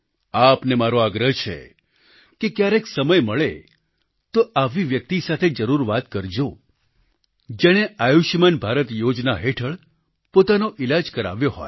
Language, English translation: Gujarati, I request you, whenever you get time, you must definitely converse with a person who has benefitted from his treatment under the 'Ayushman Bharat' scheme